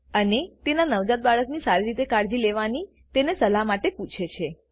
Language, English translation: Gujarati, And asks for her advice on taking better care of her newborn baby